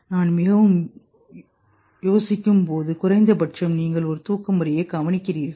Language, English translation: Tamil, It happens with me at least you observe your sleep pattern